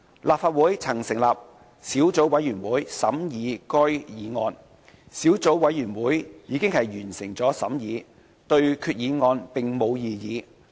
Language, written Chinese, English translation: Cantonese, 立法會曾成立小組委員會審議該項議案，小組委員會已完成審議工作，對決議案並無異議。, The Legislative Council formed a subcommittee to scrutinize the motion . It has completed the scrutiny and raised no objection to it